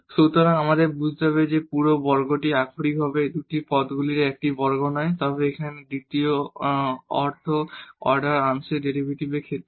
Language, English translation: Bengali, So, that we have to understand that this whole square is not literally the a square of this two terms, but the meaning of this here is in terms of the second order partial derivatives